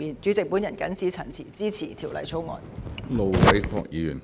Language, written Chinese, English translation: Cantonese, 主席，我謹此陳辭，支持《條例草案》。, With these remarks President I support the Bill